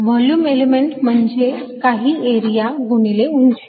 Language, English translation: Marathi, a volume element is nothing but some area times the height